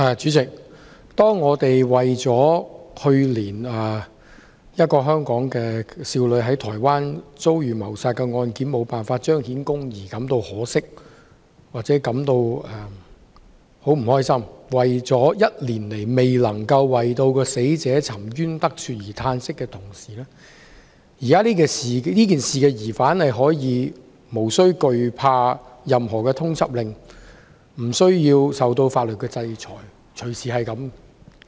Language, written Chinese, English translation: Cantonese, 主席，當我們為了去年一名香港少女在台灣遭遇謀殺的案件無法彰顯公義感到可惜或不快，為了1年來也未能讓死者沉冤得雪而嘆息的同時，這件事的疑犯可以無需懼怕任何通緝令，無需受到法律制裁。, President when we are dismayed by or displeased with the fact that justice has not been upheld for the Hong Kong girl in a murder case in Taiwan last year when we lament the failure to undo the injustice done to the deceased over the one year or so the suspect in this case can fear no wanted circular and face no legal sanctions